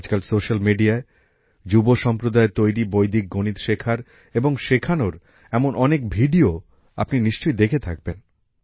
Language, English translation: Bengali, You must have seen videos of many such youths learning and teaching Vedic maths on social media these days